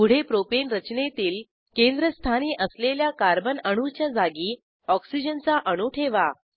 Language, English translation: Marathi, Next lets replace the central Carbon atom in Propane structure with Oxygen atom